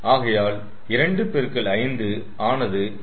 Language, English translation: Tamil, so two into five, ten